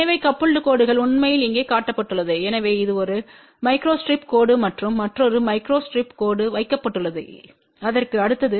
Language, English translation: Tamil, So, coupled lines are actually shown here, so this is the one micro strip line and there is another micro strip line kept next to that